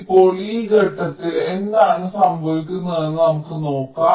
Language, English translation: Malayalam, now, at this point, what happens